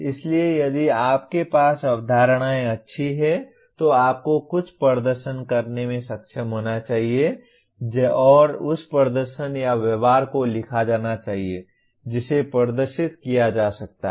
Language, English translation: Hindi, So if you have the concepts well, you should be able to perform something and that performing or the behavior should be written which can be demonstrated